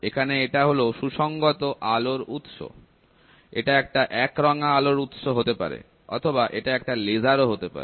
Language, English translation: Bengali, So, here is a coherent light source, this can be a monochromatic light source, or it can even be a laser